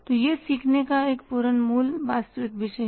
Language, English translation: Hindi, So, it is a full fledged original real discipline of learning